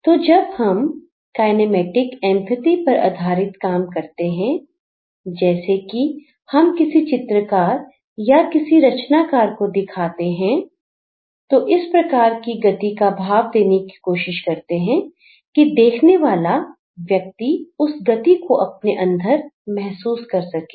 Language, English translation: Hindi, So, it's more like when we have the kinesthetic empathy that's more like we want to show as the painter or as a creator we are giving a sense of movement that gets transformed to the viewer and the viewer feels that movement inside him or her